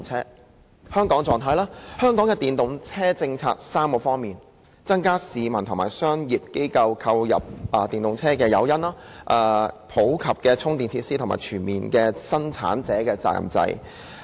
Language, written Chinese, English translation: Cantonese, 在香港，我們的電動車政策分為3方面：增加市民和商業機構購入電動車的誘因、普及充電設施，以及全面實施生產者責任制。, In Hong Kong our EV policy is divided into three areas providing more incentives for people and commercial enterprises to purchase EVs making charging facilities more common and comprehensively implementing a producer responsibility scheme